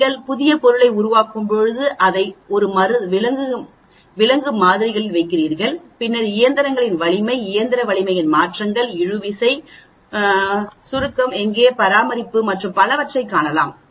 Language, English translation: Tamil, This is very common when you are doing bio material design, when you are creating new material you keep it in a animal models and then see the mechanicals strength, changes in mechanical strength which could be tensile, compression, where, care and so on actually